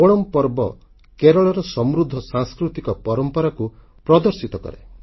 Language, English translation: Odia, This festival showcases the rich cultural heritage of Kerala